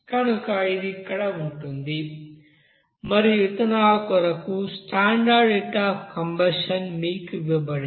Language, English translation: Telugu, So it will be here and standard heat of condition for this ethanol is given to you